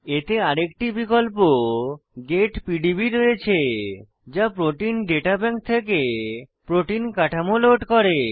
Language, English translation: Bengali, It also has another option Get PDB to load protein structures from Protein Data Bank